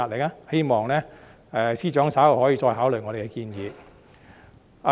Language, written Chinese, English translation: Cantonese, 我希望司長稍後可以再考慮我們的建議。, I hope the Financial Secretary will further consider our proposals later